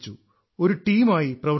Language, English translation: Malayalam, We worked as a team